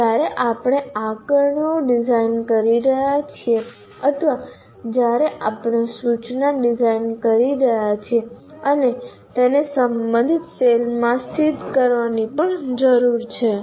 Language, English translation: Gujarati, And when we are designing assessments or when we are designing instruction, that also we need to locate in the corresponding cell